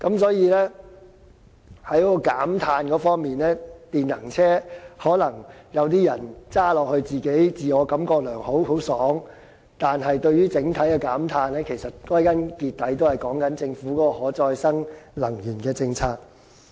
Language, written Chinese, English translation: Cantonese, 所以，在減碳方面，或許有些人駕駛電能車時自我感良好，但對於整體減碳效果，其實歸根究底都是關乎政府的可再生能源政策而定。, Hence while EV drivers may feel good in respect of carbon reduction the effectiveness of the overall carbon reduction actually lies in the Governments policies on renewable energy